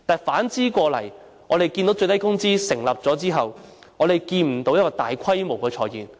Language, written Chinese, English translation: Cantonese, 反之，最低工資訂立後，我們看不到大規模裁員。, On the contrary we did not see any large - scale layoffs after the introduction of minimum wage